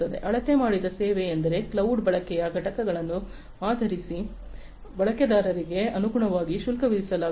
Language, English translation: Kannada, Measured service means like you know based on the units of usage of cloud, the user is going to be charged accordingly